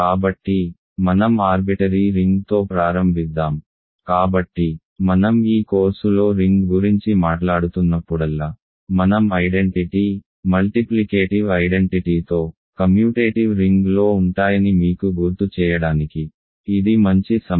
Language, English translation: Telugu, So, let us start with an arbitrary ring, so it is a good time for me to remind you that whenever I am talking about a ring in this course I am in a commutative ring with unity, multiplicative identity